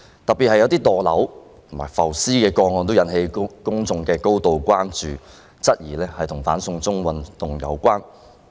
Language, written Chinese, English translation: Cantonese, 當中有一些墮樓及浮屍個案，更引起公眾的高度關注，質疑與"反送中"運動有關。, Some of these cases involved people falling from heights and dead bodies found floating on the sea which have aroused grave public concern and queries that they are related to the ant - extradition to China movement